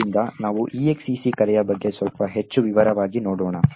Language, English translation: Kannada, So, let us look a little more in detail about the exec call